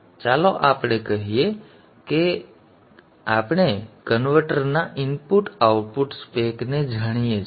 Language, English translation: Gujarati, Now let us say we know the input output spec of the converter